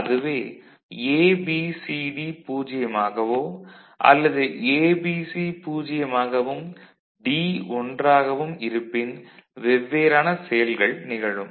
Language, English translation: Tamil, If A and B and C and D are 0, A and B and C are 1 and D is 0, something else happens